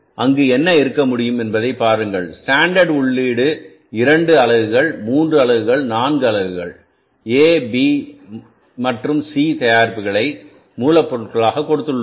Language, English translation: Tamil, See what can be there possibility that we have given the standard input, two units, three units, four units of A, B and C products and that the raw materials